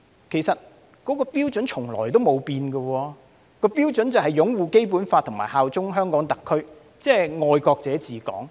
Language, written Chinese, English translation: Cantonese, 其實，標準從來沒變，也就是擁護《基本法》和效忠香港特區，即"愛國者治港"。, In fact the standard has never changed and that is upholding the Basic Law and swearing allegiance to the HKSAR and in other words patriots administering Hong Kong